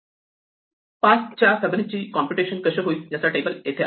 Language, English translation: Marathi, Here is how a computation of Fibonacci of 5 would go, if we keep a table